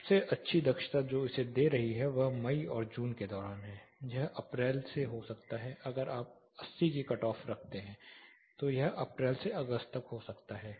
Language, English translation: Hindi, The best efficiency it is giving is during summer May and June say it can be from April if you take 80 as a cut off it can be from April all the way to August